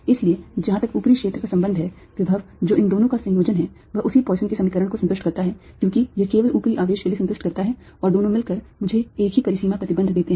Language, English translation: Hindi, so as far the upper region is concerned, the potential, which is a combination of these two, satisfies the same poisson's equation as it [C30]satisfies only for the upper charge and the two to together give me the same boundary condition